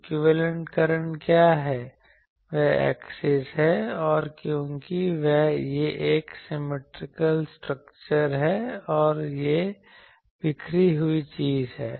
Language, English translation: Hindi, What is the equivalent current that is that the axis, and because it is a symmetrical structure and that the scattered thing is this